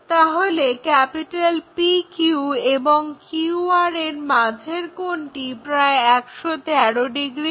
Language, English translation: Bengali, The PQ angle, so angle between PQ and QR which is around 113 degrees